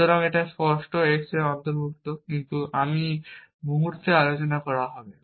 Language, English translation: Bengali, So, it also include clear x, but as I will discuss in the moment